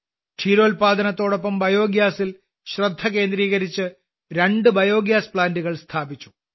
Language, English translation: Malayalam, Along with dairy, he also focused on Biogas and set up two biogas plants